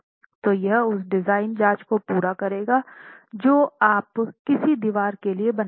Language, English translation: Hindi, So, that would complete the design checks that you make for a given wall itself